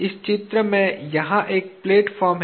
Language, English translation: Hindi, In this drawing, a platform is here